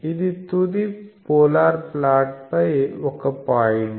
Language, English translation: Telugu, So, this is a point on the final polar plot